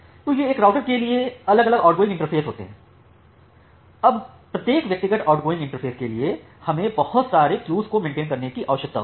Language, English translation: Hindi, So, these are the different outgoing interfaces for a router, now for every individual outgoing interface I need to maintain these multiple queues